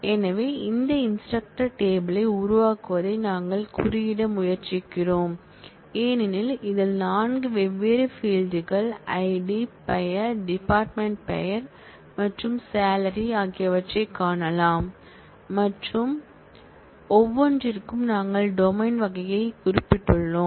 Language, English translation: Tamil, So, in this we are trying to code the creation of this instructor table, as you can see it has 4 different fields ID, name, department name and salary and for each one we have specified the domain type